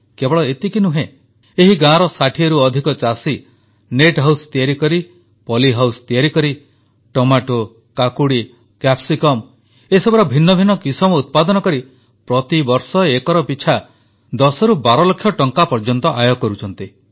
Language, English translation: Odia, Not only this, more than 60 farmers of this village, through construction of net house and poly house are producing various varieties of tomato, cucumber and capsicum and earning from 10 to 12 lakh rupees per acre every year